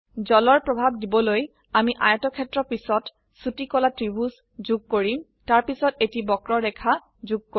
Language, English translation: Assamese, To give the effect of water, we shall add a triangle next to the rectangle and then add a curve